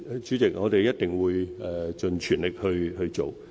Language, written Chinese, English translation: Cantonese, 主席，我們一定會盡全力去做。, President we will definitely do our level best